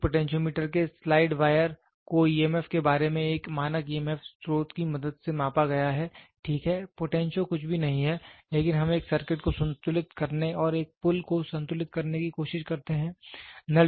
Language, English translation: Hindi, A slide wire of a potentiometer has been measured regarding emf with the help of a standard emf source, ok, potentio is nothing but we try to rotate and try to balance a circuit or balance a bridge